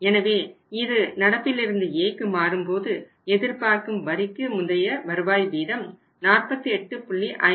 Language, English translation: Tamil, So it is current to A current to A so, before tax expected at rate of return was how much 48